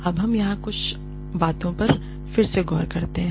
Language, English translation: Hindi, Now, let us revisit a few things here